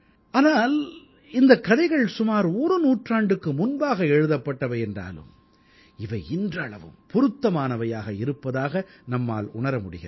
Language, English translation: Tamil, Though these stories were written about a century ago but remain relevant all the same even today